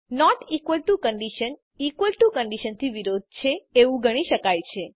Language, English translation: Gujarati, The not equal to condition can be thought of as opposite of equal to condition